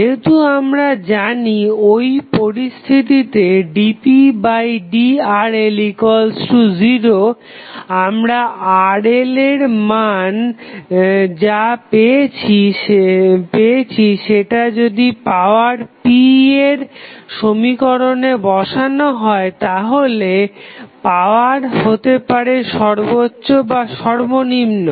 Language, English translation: Bengali, And now, as we know that at the when the derivative dp by dRl is equal to 0 at that condition, the Rl value what we get if you supply that value Rl into the power p, power might be maximum or minimum